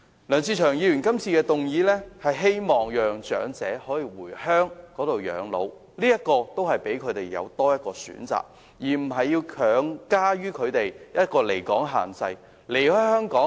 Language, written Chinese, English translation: Cantonese, 梁志祥議員提出的議案正是希望可讓長者回鄉養老，給予他們多一個選擇，而不是把離港限制強加於他們身上。, Instead of compulsorily imposing the absence limit on elderly persons the motion moved by Mr LEUNG Che - cheung seeks to give them one more choice so that they can retire in their hometown